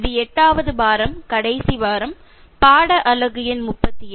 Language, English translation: Tamil, This is week eight, the last week second unit lesson number 37